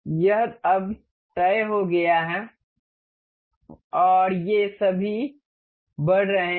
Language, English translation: Hindi, This is fixed now and all these are moving